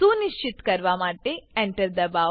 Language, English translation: Gujarati, Press Enter to confirm